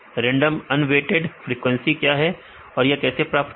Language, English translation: Hindi, What are the random unweighted frequency, how to get these frequency